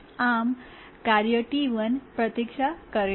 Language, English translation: Gujarati, So, the task T1 waits